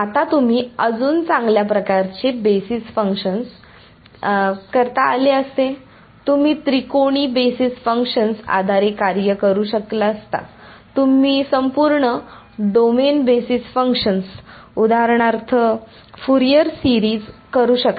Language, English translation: Marathi, Now you could have done better kind of basis functions right, you could have done for basis functions you could have done triangular basis functions, you could have done entire domain basis functions for example, Fourier series